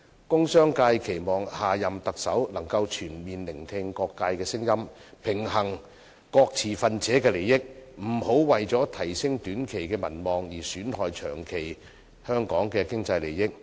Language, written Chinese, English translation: Cantonese, 工商界期望下任特首能全面聆聽各界聲音，平衡各持份者的利益，不要為提升短期的民望而損害香港長期的經濟效益。, The industrial and business sector hopes that the next Chief Executive can balance the interests of stakeholders by paying full heed to the views of various sectors and refrain from seeking to raise his popularity in the short run at the expense of Hong Kongs long - term economic interests